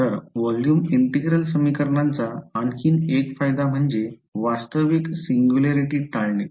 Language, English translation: Marathi, So, that is one more advantage of volume integral equations is that your avoiding that the real singularity is being avoided